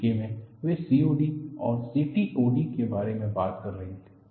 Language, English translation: Hindi, In the UK, they were talking about COD and CTOD